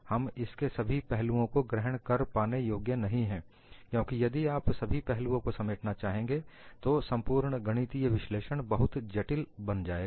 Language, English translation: Hindi, We will not be able to capture all aspects of it, because if you try it to capture all aspects, then the whole mathematical analysis would become extremely complex